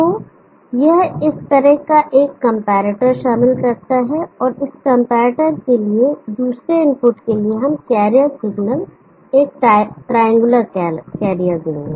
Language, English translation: Hindi, So that involves a comparator like this, and to this comparator another input we will carrier signal at triangular carrier